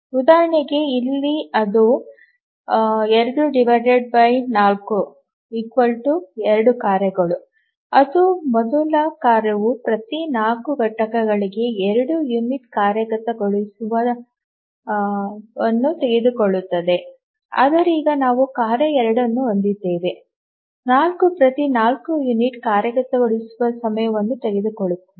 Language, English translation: Kannada, The again two tasks, the first task takes 2 unit of execution every 4 units, but now we have the task 2, taking 4 units of execution time every 8